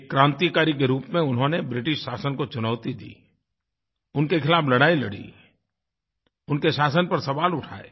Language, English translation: Hindi, As a revolutionary, he challenged British rule, fought against them and questioned subjugation